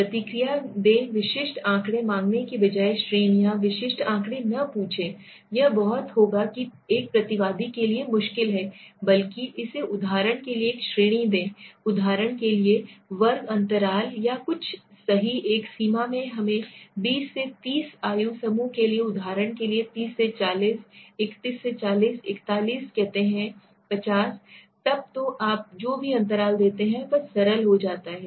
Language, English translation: Hindi, Provide response categories rather than asking for specific figures, do not ask specific figures this will be very difficult for a respondent, rather give it a category for example a scale for example, class interval or something right, in a range for let us say 20 to 30 age group for example 30 to 40, 31 to 40, 41 to 50 so such whatever you give a interval it becomes simpler, okay